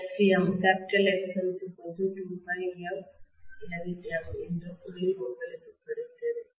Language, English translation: Tamil, You got the point that Xm is 2 pi f Lm, okay